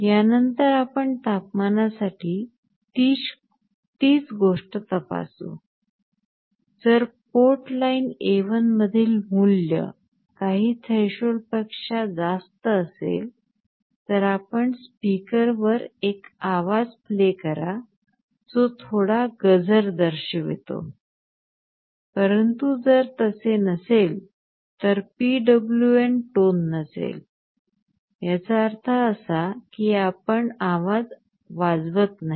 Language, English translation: Marathi, After that you check similar thing for the temperature; if the value on port line A1 is exceeding some threshold, then you play a tone on the speaker that indicates some alarm, but if it is not there will be no PWM tone; that means, you do not play a tone